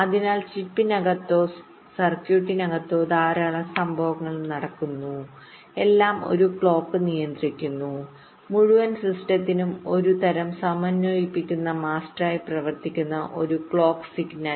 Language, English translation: Malayalam, so there are lot of events which are going on inside the chip or the circuitry and everything is controlled by a clock, a clock signal which acts as some kind of a synchronizing master for the entire system